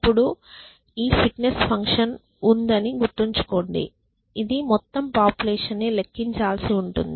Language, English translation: Telugu, Now, remember there is this fitness function will have to be computed for the entire population